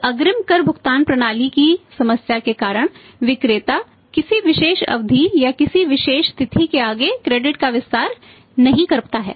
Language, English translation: Hindi, so, because of their problem of that advance tax payment system seller cannot extend the credit beyond a particular period or be on a particular date